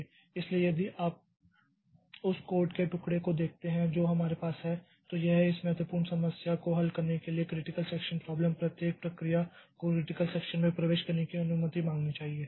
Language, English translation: Hindi, So, if you look into the piece of code that we have, so critical section problem is to design protocol to solve this problem for solve this particular issue, each process must ask permission to enter into the critical section in entry section